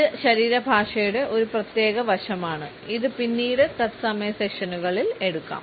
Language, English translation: Malayalam, This is one particular aspect of body language, which perhaps can be taken later on in live sessions